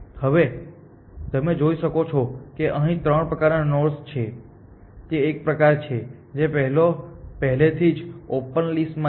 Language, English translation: Gujarati, Now you can see that there are three kinds of nodes here one is one kind which is on the open list already